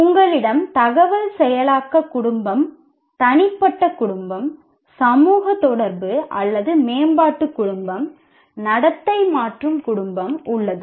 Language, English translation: Tamil, You have information processing family, personal family, social interaction or development family, behavioral modification family